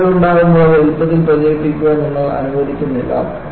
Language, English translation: Malayalam, When there is a crack, you do not allow it to propagate easily